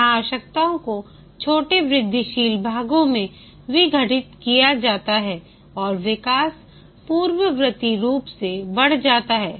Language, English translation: Hindi, Here the requirements are decomposed into small incremental parts and development proceeds incrementally